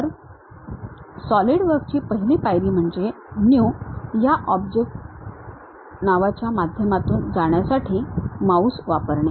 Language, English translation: Marathi, The first step as Solidworks what we have to do is using mouse try to go through this object name New